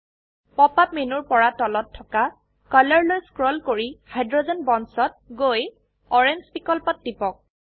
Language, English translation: Assamese, From the Pop up menu scroll down to Color then Hydrogen Bonds then click on orange option